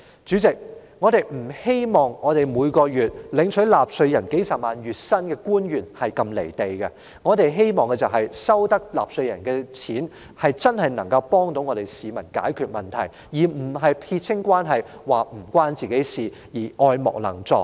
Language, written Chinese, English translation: Cantonese, 主席，官員每月領取由納稅人支付的數十萬元月薪，我們不願他們如此"離地"，他們既然領取納稅人的金錢，我們就希望他們真正能夠幫助市民解決問題，而不是撇清關係，表明與自己無關，愛莫能助。, President government officials each earn a monthly salary of a few hundreds of thousands of dollars we hope they will not be so detached from reality . Since they are receiving salaries paid by taxpayers we hope they will help the public to solve the problems rather than dissociating themselves from the problems stating they have nothing to do with and can do nothing about the problems . This is not only so for the problems with Link REIT